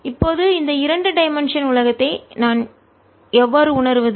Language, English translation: Tamil, how do i realize this two dimensional world